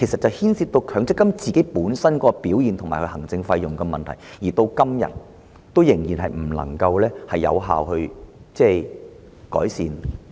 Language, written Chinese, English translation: Cantonese, 這牽涉強積金本身的表現和行政費用的問題，至今仍未能有效改善。, This is due to the performance and management fees of MPF schemes which have not been effectively improved so far